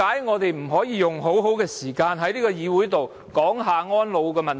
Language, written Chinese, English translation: Cantonese, 我們為何不能善用時間在議會討論安老問題？, Why do we not make good use of our Council meeting time to discuss elderly issues?